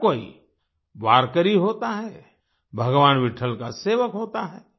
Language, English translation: Hindi, Everyone is a Varkari, a servant of Bhagwan Vitthal